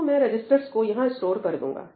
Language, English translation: Hindi, So, I will store the registers over here